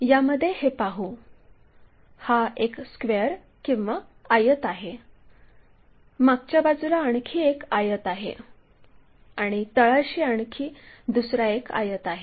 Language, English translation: Marathi, Here let us look at this, this is a square or rectangle, another rectangle on the back side and another rectangle on the bottom side